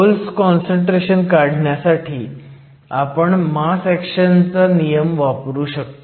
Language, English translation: Marathi, To calculate the hole concentration we can use the law of mass action